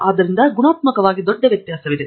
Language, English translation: Kannada, So, qualitatively there is a big difference